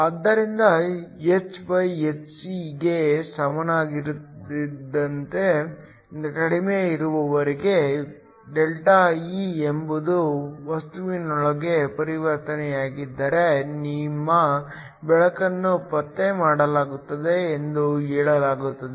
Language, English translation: Kannada, So, as long as λ is less than equal to hcE, where ΔE is a transition within the material, then your light is said to be detected